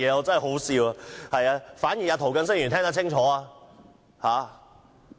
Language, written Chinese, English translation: Cantonese, 真可笑，反而涂謹申議員聽得清楚。, It is ridiculous; Mr James TO has heard me clearly